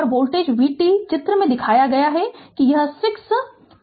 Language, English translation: Hindi, And the voltage v t shown in figure 5 this 6 b